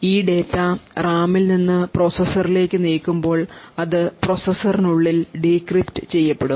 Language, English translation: Malayalam, Now when this data is moved from the RAM to the processor it gets decrypted within the processor